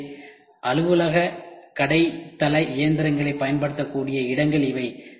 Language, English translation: Tamil, So, these are the places where office shop floor machines can be used